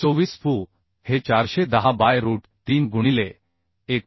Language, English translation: Marathi, 24 fu is 410 by root 3 into 1